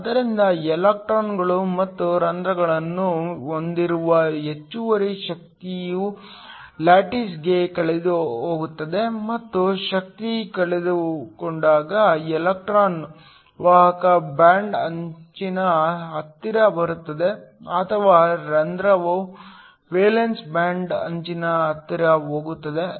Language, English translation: Kannada, So, excess energy which is the electrons and holes possess are essentially lost to the lattice and when the energy is lost the electron comes close to the conduction band edge or the hole goes close to the valence band edge